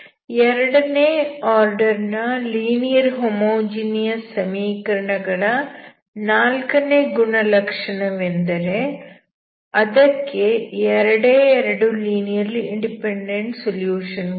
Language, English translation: Kannada, So the fourth property from the second order linear homogeneous equation is that we will have only two solutions